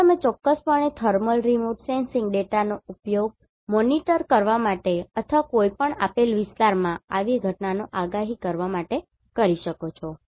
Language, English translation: Gujarati, So, you can definitely use the thermal remote sensing data to monitor or to predict such events in any given area